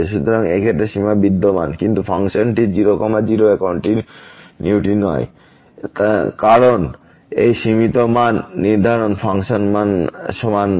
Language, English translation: Bengali, So, the limit exist in this case, but the function is not continuous at , because this limiting value is not equal to the function value which is prescribed at